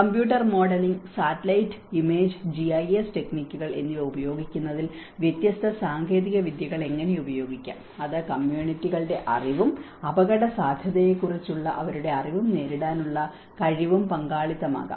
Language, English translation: Malayalam, And how different techniques could be used in using computer modelling, satellite image GIS techniques, and it could be also the participatory the communities knowledge and how their knowledge on the vulnerability and the ability to cope